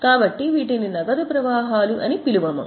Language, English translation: Telugu, So, it is some type of cash flow